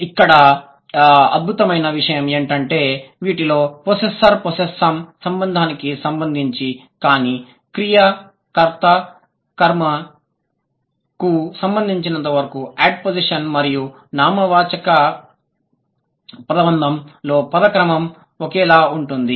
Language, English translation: Telugu, The striking thing is that the word order is same as far as possessor possessum relation is concerned, subject verb object is concerned, and ad position and noun phrase is concerned